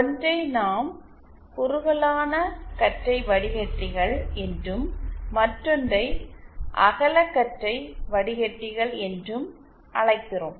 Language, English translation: Tamil, One is what we call narrowband filters and the other we call broadband filters